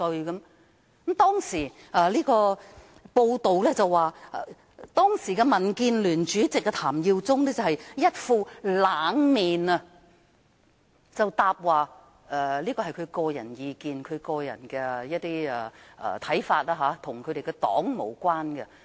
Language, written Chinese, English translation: Cantonese, 有報道指出，當時的民建聯主席譚耀宗擺出一副"冷面"，回答那是蔣議員的個人意見及看法，與黨派無關。, It was reported that TAM Yiu - chung the then Chairman of the Democratic Alliance for the Betterment and Progress of Hong Kong DAB replied with a poker face that it was Dr CHIANGs personal view and opinion which had nothing to do with their party